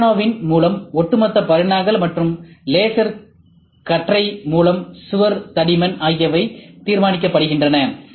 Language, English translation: Tamil, Overall dimensions by galvo, and the wall thickness by laser beam